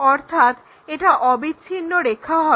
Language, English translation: Bengali, So, we will have continuous lines